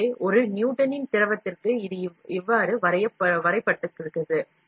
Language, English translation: Tamil, So, for a Newtonian fluid it is defined like this